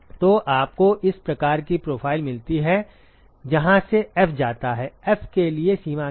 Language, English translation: Hindi, So, what you get is this kind of a profile where F goes from; what is the range for F